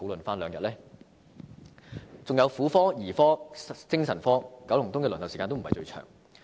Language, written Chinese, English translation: Cantonese, 還有婦科、兒科、精神科，九龍東的輪候時間也非最長。, Furthermore the waiting time for specialties of gynaecology paediatrics and psychiatry was also not the longest in Kowloon East